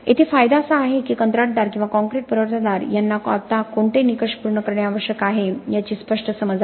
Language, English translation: Marathi, The advantage here is that the contractor or the concrete supplier now has a clear understanding of what criteria needs to be met